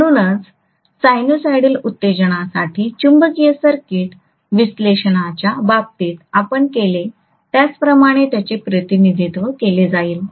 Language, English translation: Marathi, So those will be represented just like what we did in the case of magnetic circuit analysis for sinusoidal excitation